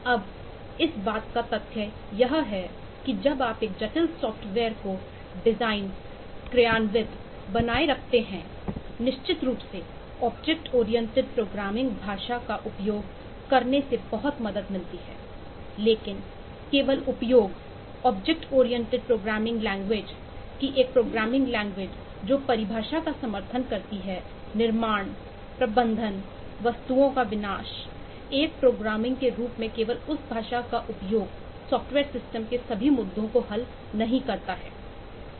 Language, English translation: Hindi, now, the fact of the matter is that while you design, implement and maintain a complex software, certainly using a object oriented programming language turns out to be of great help, but merely the use of a object oriented programming language, that a programming language which supports definition, creation, management, destruction of objects, merely the use of that language as a programming vehicle does not solve all the issues of software system